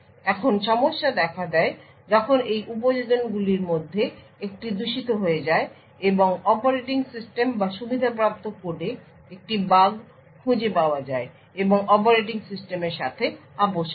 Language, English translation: Bengali, Now problem occurs when one of these applications becomes malicious and finds a bug in the operation system or the privileged code and has compromised the operating system